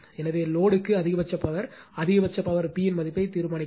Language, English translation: Tamil, So, maximum power to the load, determine the value of the maximum power P also right